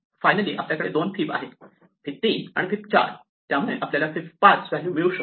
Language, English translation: Marathi, And finally, we have 2 and fib 3 and fib 4, so we can get fib 5